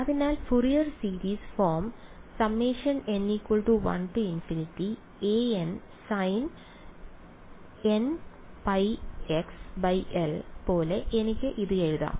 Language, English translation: Malayalam, Can I write it as the Fourier series